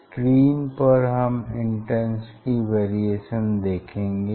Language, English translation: Hindi, on the screen we will see the variation of the intensity